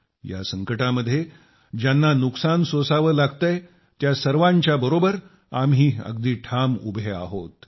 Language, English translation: Marathi, Let us all firmly stand by those who have borne the brunt of this disaster